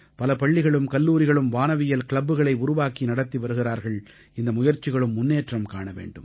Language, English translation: Tamil, And there are many such schools and colleges that form astronomy clubs, and such steps must be encouraged